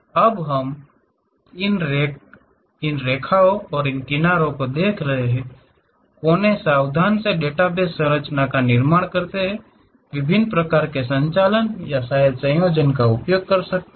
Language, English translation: Hindi, Now, when we are looking at these edges, vertices careful database structures one has to construct; there are different kind of operations or perhaps combinations one can use